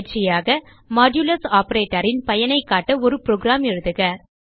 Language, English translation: Tamil, As an assignment: Write a program to demonstrate the use of modulus operator